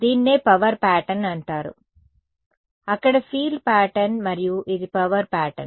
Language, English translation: Telugu, This is called the power pattern there is the field pattern and this is the power pattern